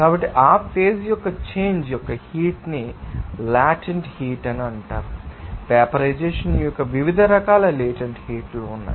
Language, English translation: Telugu, So, that you know heat of change of that phase is called Latent heat there are different types of Latent heat of vaporization